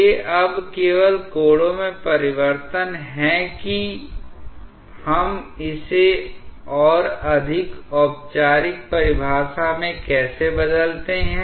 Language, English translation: Hindi, These are just changes in angles now how we translate that into a more formal definition